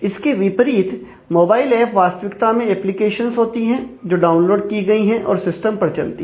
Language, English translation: Hindi, So, in contrast to that a mobile app are actually, applications that are downloaded and runs on the system